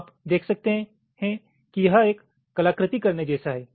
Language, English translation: Hindi, so you can see, this is just like doing an artwork